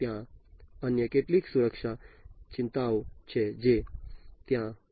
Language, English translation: Gujarati, There are few other types of security concerns that will have to be there